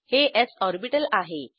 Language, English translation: Marathi, This is an s orbital